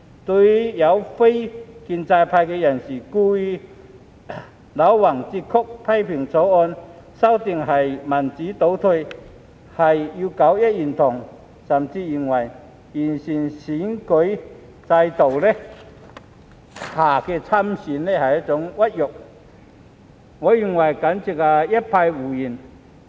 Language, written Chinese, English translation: Cantonese, 對於有非建制派人士故意戾橫折曲，批評《條例草案》的修訂是民主倒退，是要搞一言堂，甚至認為在經完善的選舉制度下參選是一種屈辱，我認為簡直就是一派胡言。, Some people from the non - establishment camp have deliberately twisted and distorted the contents criticizing that the amendments introduced by the Bill represent a regression of democracy and promote the domination of one voice . They even consider it a humiliation to stand for election under the improved electoral system . I find all these remarks simply nonsense